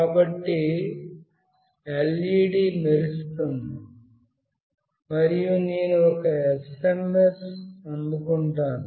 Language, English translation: Telugu, So, the LED glows, and I will receive an SMS